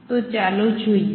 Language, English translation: Gujarati, So, let us see that